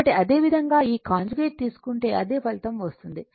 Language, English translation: Telugu, So, similarly if you do this conjugate same same result you will get right